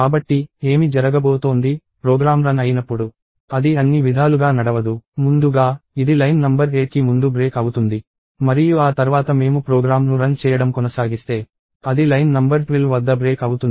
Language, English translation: Telugu, So, what is going to happen is – when the program is run, it will not run all the way; first, it will break just before line number 8 and after that if I continue running the program, it will break at line number 12 and so on